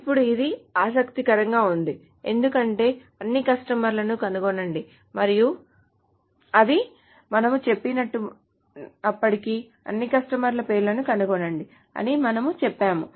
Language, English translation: Telugu, Now this is interesting because although we said find all customers, essentially we meant to say find names of all customers